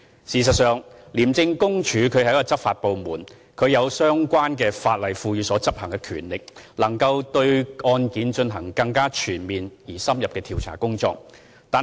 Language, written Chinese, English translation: Cantonese, 事實上，廉署是執法部門，有相關法例賦予的權力，能夠對案件進行更全面而且深入的調查工作。, In fact ICAC is a law enforcement body with powers conferred by the relevant legislation to conduct a more comprehensive and in - depth investigation into the case